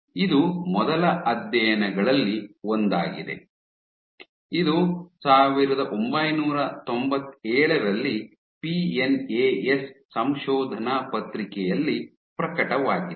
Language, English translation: Kannada, This was one of the first studies; this was in a PNAS paper in 1997